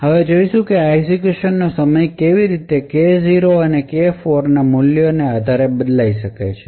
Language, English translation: Gujarati, Now we will see how this execution time can vary depending on the values of K0 and K4